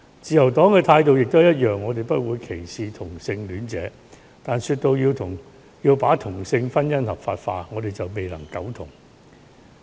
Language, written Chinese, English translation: Cantonese, 自由黨的態度也一樣，我們不會歧視同性戀者，但說到要把同性婚姻合法化，我們就未能苟同。, The Liberal Partys attitude is just the same . We do not discriminate against homosexual people . But when it comes to the legalization of same - sex marriage we beg to differ